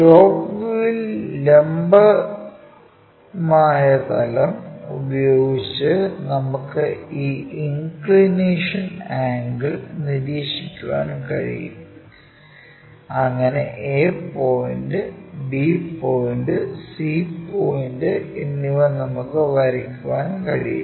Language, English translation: Malayalam, In top view we can observe this inclination angle with the vertical plane, so that a point, b point and c point we can draw it